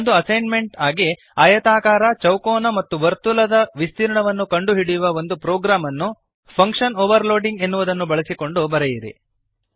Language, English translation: Kannada, As an assignment Write a program that will calculate the area of rectangle, square and circle Using function overloading